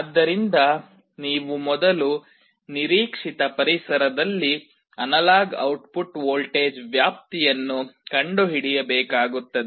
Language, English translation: Kannada, So, you will have to first find out the range of analog output voltage in the expected environment